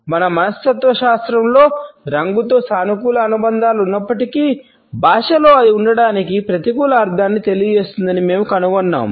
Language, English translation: Telugu, Despite the positive associations which color has in our psychology, we find that in language it communicates a negative meaning to be in